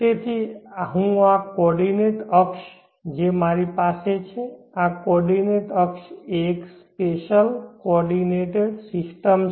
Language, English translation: Gujarati, which will be so this coordinate axis which I have here, this coordinate axis is a spatial coordinate system